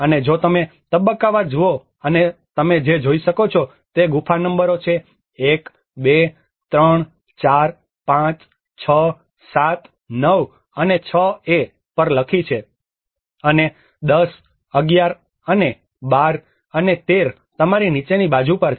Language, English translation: Gujarati, \ \ And if you look at the phase wise, and what you are able to see here is the cave numbers which has been written on 1, 2, 3, 4, 5, 6, 7, 9 and 6a and on the bottom side you have 10, 11 and 12 and 13